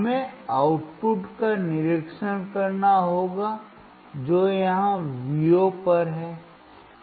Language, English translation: Hindi, We will see observe the output at Vo we have to observe the output which is at here Vo